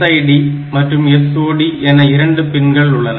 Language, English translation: Tamil, And we have got this SID and SOD; so these 2 lines